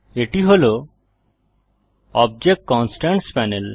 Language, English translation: Bengali, This is the Object Constraints Panel